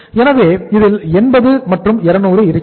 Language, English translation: Tamil, So this is 80 and here it is 200